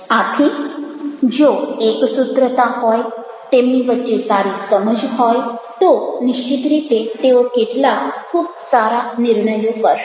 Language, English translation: Gujarati, so if there is a cohesiveness, there is a good understanding amongst themselves, definitely they will come to some very good decisions